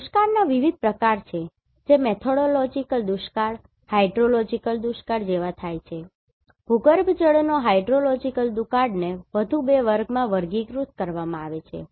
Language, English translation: Gujarati, There are different types of Drought which occurred like Methodological Drought, Hydrological Drought; hydrological drought is classified in further two categories